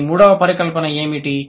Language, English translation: Telugu, What is the third hypothesis